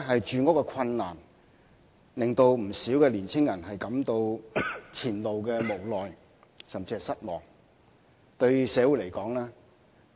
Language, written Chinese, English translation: Cantonese, 住屋困難的確令不少青年人對前路感到無奈甚至失望。, When faced with housing difficulties many young people indeed feel hopeless or even disappointed about their future